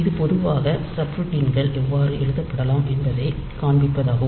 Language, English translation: Tamil, So, this is typically to this is just to show you how the subroutines can be written